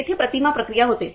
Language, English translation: Marathi, There the image processing takes place